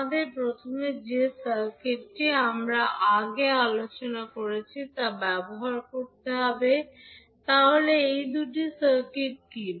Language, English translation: Bengali, We have to first use the circuit which we discussed previously, so what are those two circuits